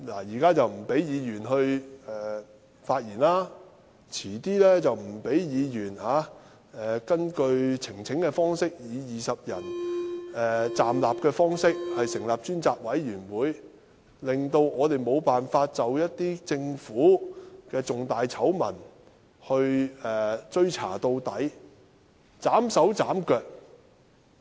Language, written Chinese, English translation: Cantonese, 現在不准議員發言，稍後又不准議員根據以20名議員站立的呈請方式成立專責委員會，令我們無法就一些政府的重大醜聞追查到底，被斬手斬腳。, Members are now not allowed to speak and later on Members will not be allowed to form a select committee even if 20 Members rise to support in form of petition . As a result we are unable to thoroughly inquire into some major scandals of the Government